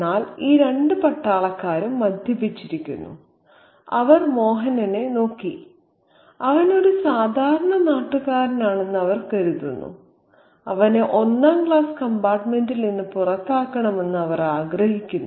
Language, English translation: Malayalam, But these two soldiers are drunk, they are inebriated and they look at Sir Mohan and they think that he is just an ordinary native and they want him out of the first class compartment